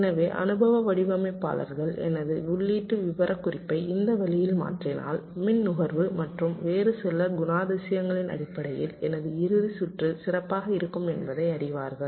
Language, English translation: Tamil, so experience designers know that if i change my input specification in this way, my final circuit will be better in terms of power consumption and some other characteristics also